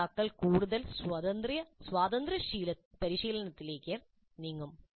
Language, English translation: Malayalam, So the learners would move more towards independent practice